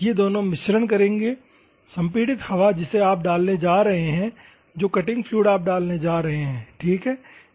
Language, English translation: Hindi, These two will mix compressed air you are going to put and cutting fluid you are going to put ok